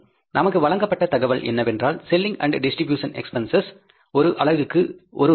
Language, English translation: Tamil, Information given to us is that selling and distribution overheads are rupees one per unit